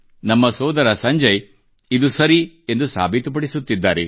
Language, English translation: Kannada, Our Sanjay Bhai is proving this saying to be right